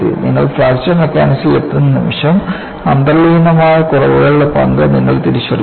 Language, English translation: Malayalam, The moment, you have come to Fracture Mechanics, you recognize the role of inherent flaws